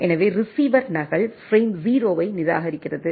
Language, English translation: Tamil, So, receiver discards the duplicate frame 0 right